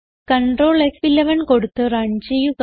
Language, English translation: Malayalam, Let us run it with Ctrl, F11